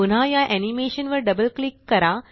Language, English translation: Marathi, Double click on this animation again